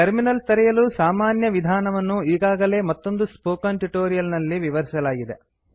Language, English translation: Kannada, A general procedure to open a terminal is already explained in another spoken tutorial